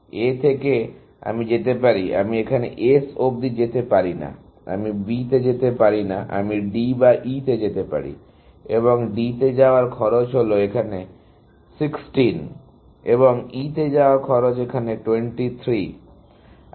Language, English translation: Bengali, From A, I can go to; I cannot go to S; I cannot go to B; I can go to D or to E, and the cost of going to D is 16, here, and cost of going to E is 23, here